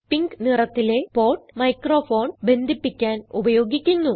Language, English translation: Malayalam, The port in pink is used for connecting a microphone